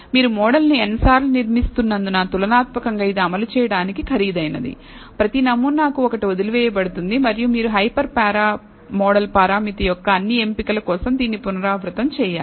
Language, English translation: Telugu, It is comparatively expensive to implement because you are building the model n times, one for each sample being left out and you have to repeat this for all choice of the hyper para model parameter